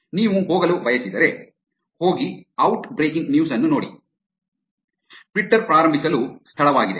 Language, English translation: Kannada, If you want to go to, go and look at the out breaking news, Twitter is the place to start with